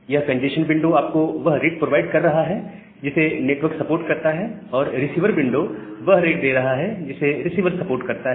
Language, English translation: Hindi, So, this congestion window is providing you the rate that network supports, and receiver window is giving you the rate that receiver supports